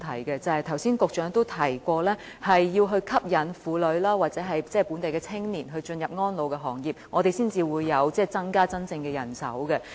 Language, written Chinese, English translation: Cantonese, 局長剛才也提過，要吸引婦女或本地青年加入安老行業，我們才能真正增加人手。, As mentioned by the Secretary earlier we can only really increase manpower by attracting women or young people locally to enter the elderly care sector